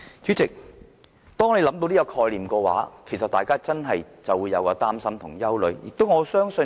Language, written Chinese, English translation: Cantonese, 主席，當我們想到這個概念，大家真的就會擔心及憂慮。, President the thought of this really arouses our worry and anxieties